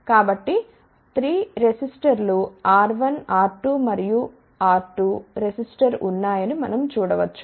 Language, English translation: Telugu, So, we can see that there are 3 resistors are there resistor R 1 R 2 and R 2